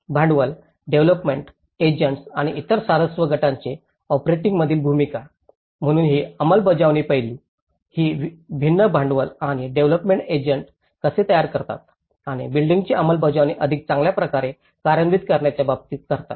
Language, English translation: Marathi, The role of capital, development agents and other interest groups in operationalizing, so it is talking about the implementation aspect, how these different capital and the development agents and how they are able to organize themselves, in deliver and operationalize the build back better